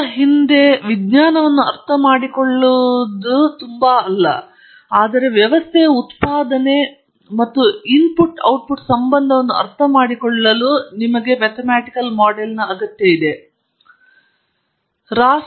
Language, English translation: Kannada, It is not so much for understanding the science behind it, but to understand the relationship between output and input of a system; and use that the control the system